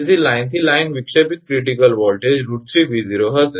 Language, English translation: Gujarati, Therefore, line to line disruptive critical voltage will be root 3 V0